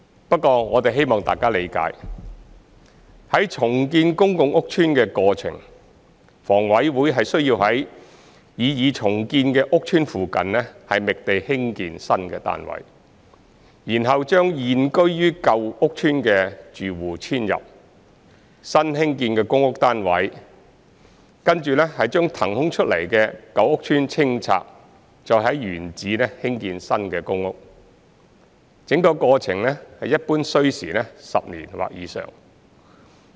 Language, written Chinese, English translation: Cantonese, 不過，我們希望大家理解，在重建公共屋邨的過程，房委會需要在擬重建的屋邨附近覓地興建新單位，然後將現居於舊屋邨的住戶遷入新興建的公屋單位，跟着將騰空出來的舊屋邨清拆，再在原址興建新公屋；整個過程一般需時10年或以上。, However we hope Members will understand that during the process of redeveloping a public housing estate HA needs to identify a site near the estate proposed for redevelopment for the construction of new flats then move the existing tenants of the old estate into the newly constructed PRH flats followed by clearance of the vacated old estate and construction of new PRH flats on the same site . The whole process usually takes 10 years or more